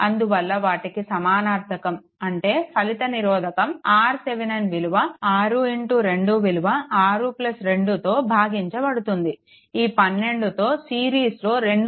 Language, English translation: Telugu, Therefore, their equivalent to; that means, total R Thevenin will be your 6 into 2 divided by your 6 plus 2 this 12 with that 2